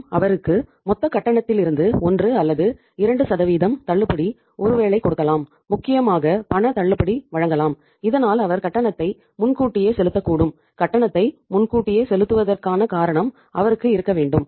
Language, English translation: Tamil, Maybe we can give him 1 or 2% discount of the total payment, cash discount especially so that he can prepone the, he should have the reason to prepone the payment